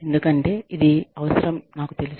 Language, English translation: Telugu, Because, i know, it is required